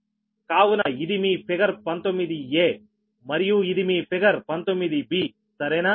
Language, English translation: Telugu, so this is your figure nineteen a and this is your figure nineteen b, right